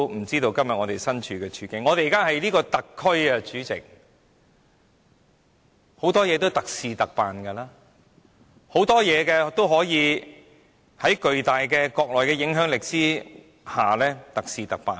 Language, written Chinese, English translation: Cantonese, 主席，我們現時是一個特區，很多事情是特事特辦的，有很多事情也可以在國內巨大的影響力下特事特辦。, Chairman we are now a special administrative region where special arrangements are made for a lot of special cases and many cases are considered special and warrant special arrangements under the enormous influence of the Mainland